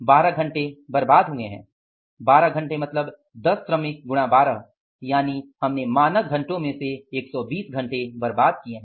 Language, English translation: Hindi, 12 hours means 12 hours into 10 workers so it means out of the 2000 standard hours we have wasted 120 hours